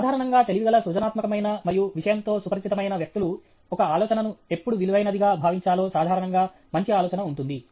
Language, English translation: Telugu, People who are normally intelligent, and creative, and who are familiar with subject matter, we have generally a good idea on when some idea is worth pursuing